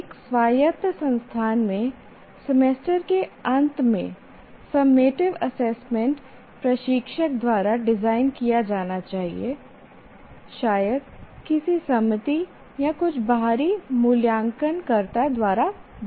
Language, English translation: Hindi, In an autonomous institution, one should normally the summative assessment at the end of semester is to be designed by the instructor, maybe overseen by some committee or some external evaluator